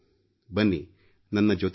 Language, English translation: Kannada, Come, get connected with me